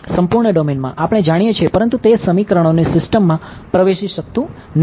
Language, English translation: Gujarati, In the whole domain we know, but that does not enter into the system of equations